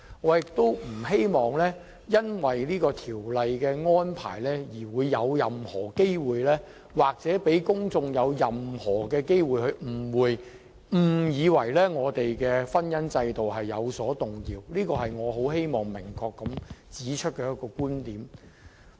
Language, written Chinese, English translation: Cantonese, 我亦不希望因為這項《條例草案》的安排而致製造任何機會，讓公眾有誤以為我們的婚姻制度有任何改變，這是我希望能明確指出的觀點。, I also hope that the arrangement of this Bill will not cause any misunderstanding among the public that some changes have taken place in our matrimonial regime . This is the view I wish to state clearly